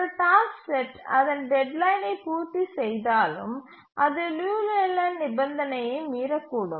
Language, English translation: Tamil, Even if a task set is will meet its deadline but it may violate the Liu Leyland condition